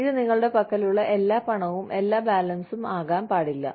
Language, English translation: Malayalam, It cannot be all the money, all the balance, you have